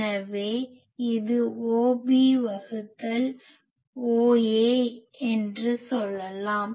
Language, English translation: Tamil, So, I can say it is O A by O B